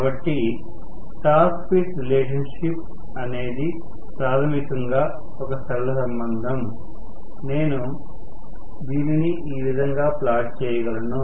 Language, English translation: Telugu, So, torque speed relationship is basically a linear relationship which I can plot somewhat like this